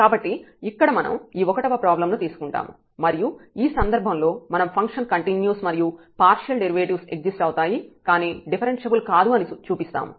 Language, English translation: Telugu, So, here we take this problem number 1, and we will show that in this case the function is continuous and the partial derivatives exists, but the function is not differentiable